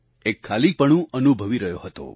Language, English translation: Gujarati, I was undergoing a bout of emptiness